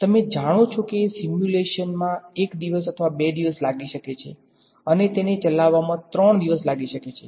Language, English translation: Gujarati, You know a simulation may take 1 day or 2 and it may take 3 days to run